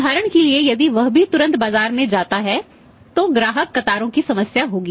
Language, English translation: Hindi, If for example immediately that also goes to the market so then there will be the problem of the customer queues